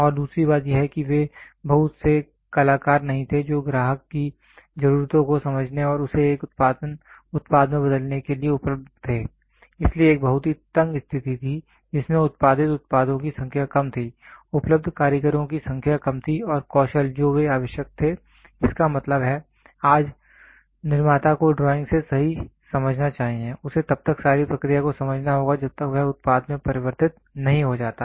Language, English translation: Hindi, And second thing is they were not many artists who were available to understand customer needs and convert it into a product, so there was a very tight situation where in which the number of products produced were less, the number of artesian available was less and the skill what they were requiring; that means, today the manufacturer should understand right from drawing, he has to understand all the process till he gets converted into a product